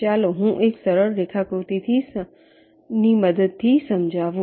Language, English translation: Gujarati, let me just illustrate with the help of a simple diagram